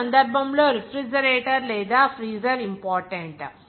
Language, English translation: Telugu, In this case, the refrigerator or freezer is important